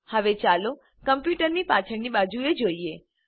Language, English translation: Gujarati, Now lets look at the back of the computer